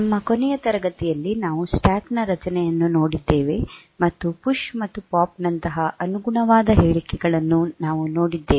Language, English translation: Kannada, In our last class we have seen the structure of stack and we have taken the seen the corresponding statements like PUSH and POP